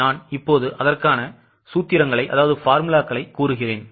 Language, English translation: Tamil, I'll just show you the formulas